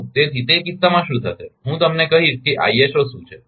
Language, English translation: Gujarati, So, so in that case what will happen, I will tell you what is ISO